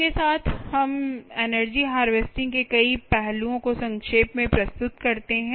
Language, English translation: Hindi, with this we sort of summarize several aspects of energy harvesting and ah